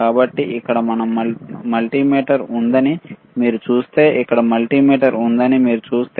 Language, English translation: Telugu, So, if you see there is a multimeter here, if you see there is a multimeter here